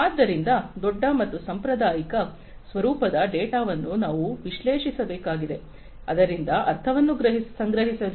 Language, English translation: Kannada, So, we have to analyze the big and the traditional forms of data, and you know, try to gather meaning out of it